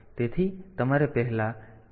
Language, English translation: Gujarati, So, you have to first write a 1 there